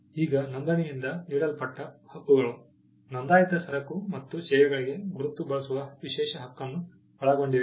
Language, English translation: Kannada, Now the rights conferred by registration include exclusive right to use the mark for registered goods and services